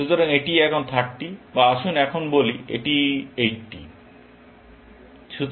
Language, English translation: Bengali, So, this is now, 30 or Let us say now, this is 80